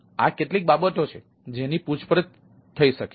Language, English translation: Gujarati, these are the things which will be questioned, right